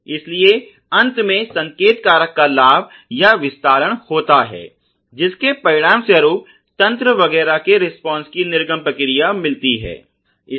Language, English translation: Hindi, And therefore there is something called the gain of or amplification the signal factor finally, resulting in an output response of the system etcetera